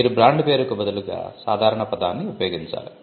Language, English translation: Telugu, You would use a generic word instead of a brand name